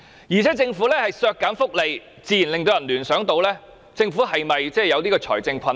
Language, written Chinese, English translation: Cantonese, 而且，政府削減福利自然令人聯想是否有財政困難。, Besides people will naturally associate the reduction of welfare to financial difficulties yet the coffers are overflowing with money now